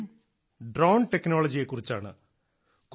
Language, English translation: Malayalam, This topic is of Drones, of the Drone Technology